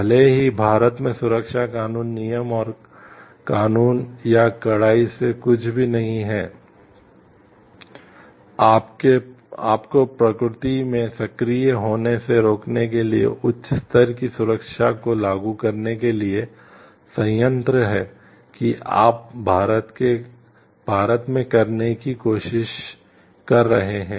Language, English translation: Hindi, Even if safety law rules and laws in India or that not strict nothing stops you from being proactive in nature to implement high degree of safety in the plant that you are to trying to do in India